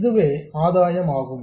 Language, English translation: Tamil, This is the gain